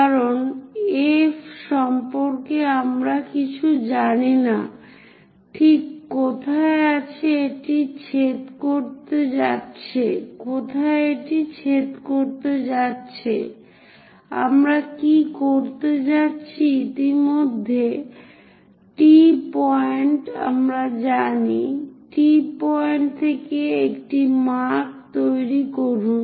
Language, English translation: Bengali, Because we do not know anything about F where exactly it is going to intersect; what we are going to do is, already T point we know, from T point make a cut